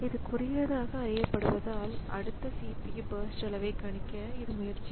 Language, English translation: Tamil, So, that it is known as the shortest remains, it will try to predict the next CPU burst size